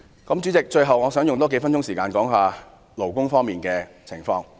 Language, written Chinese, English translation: Cantonese, 最後，代理主席，我想用數分鐘時間談談勞工方面的事宜。, Finally Deputy President I would like to spend a few minutes talking about labour matters